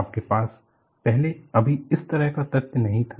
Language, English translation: Hindi, You know, you never had this kind of an exposure earlier